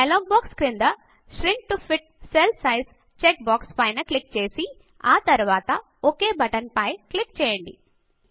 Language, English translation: Telugu, At the bottom of the dialog box, click on the Shrink to fit cell size check box and then click on the OK button